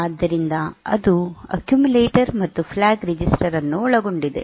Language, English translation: Kannada, So, that includes the accumulator and the flag